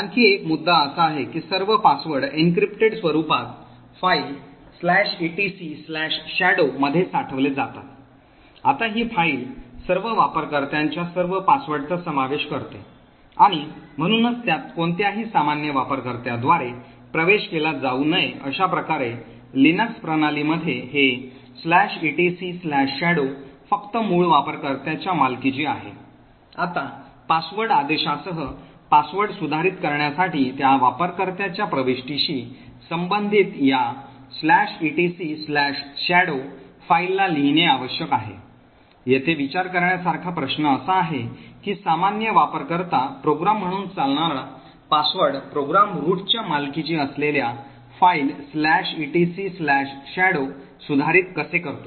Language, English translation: Marathi, Another point is that all passwords are stored in the encrypted form in the file /etc/shadow, now this file comprises of all passwords of all users and therefore should not be accessed by any ordinary user, thus in the Linux system this /etc/shadow is only owned by the root user, now to modify a password using the password command, it would require to write to this /etc/shadow file corresponding to the entry for that user, question to think about over here is that how can a password program which runs as the normal user program modify a file /etc/shadow which is owned by the root